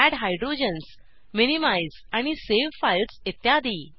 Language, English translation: Marathi, * Add Hydrogens, Minimize and save files